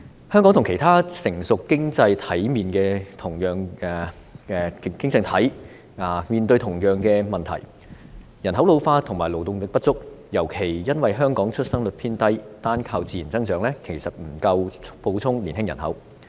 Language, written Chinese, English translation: Cantonese, 香港和其他成熟經濟體面對同樣問題，便是人口老化和勞動力不足，尤其因為香港的出生率偏低，單靠自然增長，其實不足以補充年青人口。, Hong Kong and other mature economies are facing the same problems of ageing population and inadequate labour force and it is particularly due to the low birth rate in Hong Kong that natural growth alone is not sufficient to supplement young population